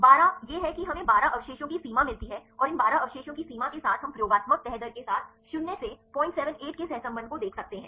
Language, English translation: Hindi, This is how we get the 12 residue limit and with these 12 residue limit we can see the correlation of minus 0